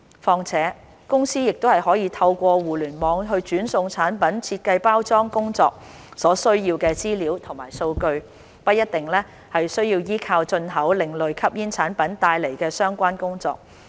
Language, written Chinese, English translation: Cantonese, 況且，公司已可透過互聯網傳送產品設計及包裝工作所需要的資料及數據，不一定需要依靠進口另類吸煙產品來進行相關工作。, Moreover companies can already transmit the information and data needed for product design and packaging via the Internet and do not necessarily need to import ASPs to do so